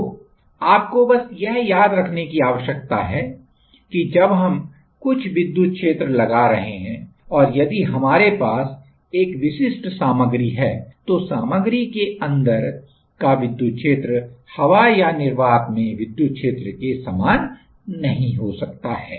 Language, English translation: Hindi, So, this is just you need to remember that while we are applying some electric field, if we have a specific material, then the field inside the material may not be same as in the air or in the free space